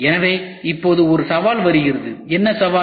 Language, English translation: Tamil, So, now, there comes a challenge, What is the challenge